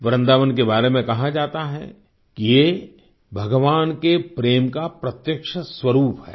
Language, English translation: Hindi, It is said about Vrindavan that it is a tangible manifestation of God's love